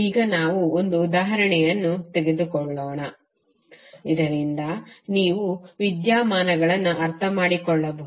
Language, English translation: Kannada, Now let’s take one example, so that you can understand the phenomena